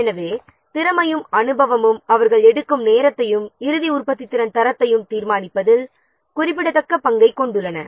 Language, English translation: Tamil, So, skill and experience they play a significant role in determining the time taken and potentially quality of the final product